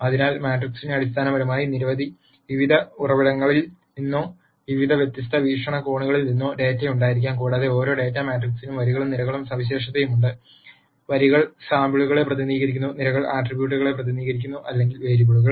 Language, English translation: Malayalam, So, the matrix basically could have data from various different sources or various different viewpoints and each data matrix is characterized by rows and columns and the rows represent samples and the columns represents attributes or variables